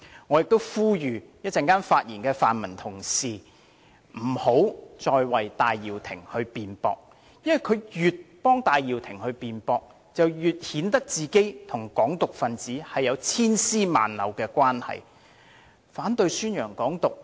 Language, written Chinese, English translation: Cantonese, 我亦呼籲稍後發言的泛民同事不要再為戴耀廷辯駁，因為越是這樣做，便越顯得自己與"港獨"分子有千絲萬縷的關係。, I also appeal to Honourable colleagues of the pan - democratic camp who are going to speak in a while not to speak in defence of Benny TAI anymore because the more they do so the more the cobweb of relations between them and advocates of Hong Kong independence is revealed